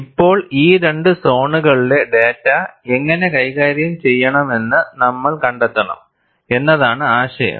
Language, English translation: Malayalam, Now, the idea is, we want to find out, how do we handle data in these two zones